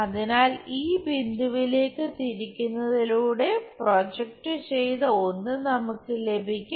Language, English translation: Malayalam, So, projected one we will have it by rotation to this point